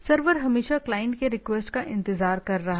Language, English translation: Hindi, The server is always waiting for a client to be request